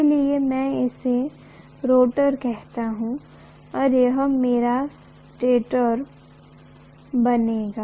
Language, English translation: Hindi, So I call this as the rotor and this is going to be my stator